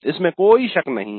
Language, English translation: Hindi, There is no doubt about it